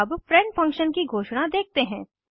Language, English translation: Hindi, Let us see the declaration of a friend function